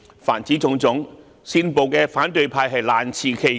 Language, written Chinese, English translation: Cantonese, 凡此種種，煽暴的反對派難辭其咎。, Opposition Members who have incited violence cannot absolve themselves of the responsibility